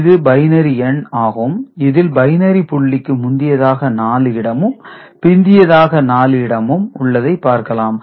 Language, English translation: Tamil, So, here is a binary number only 4 digits before the binary point and 4 digit after it has been shown